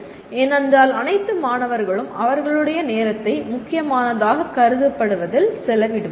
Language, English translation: Tamil, Because after all the student will spend time on what is considered important